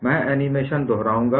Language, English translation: Hindi, I would repeat the animation